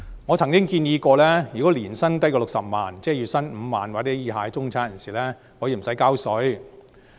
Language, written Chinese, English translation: Cantonese, 我曾建議，如果市民年薪低於60萬元——即月薪5萬元或以下的中產人士——可以不用繳稅。, I have once proposed that for a person earning less than 600,000 per annum―that is a middle - class person with a monthly salary of 50,000 or below―should be exempted from salaries tax